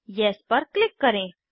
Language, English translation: Hindi, Click on Yes